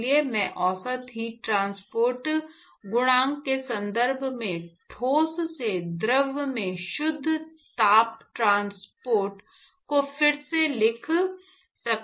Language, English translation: Hindi, So, I can rewrite the net heat transport from the solid to the fluid in terms of the average heat transport coefficient